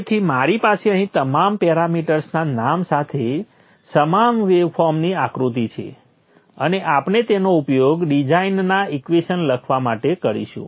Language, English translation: Gujarati, So I have with me the same waveform figure with all the parameters named here with me and we shall use this for writing the equations design equations